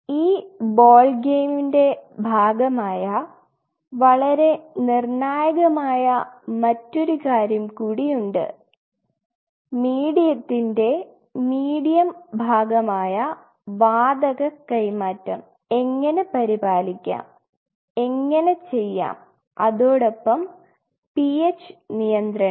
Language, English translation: Malayalam, So, there is one more thing very critically here though it is part of this whole ballgame how to maintain the Gaseous Exchange which is part of actually the medium part of the medium how you are doing it and ph balance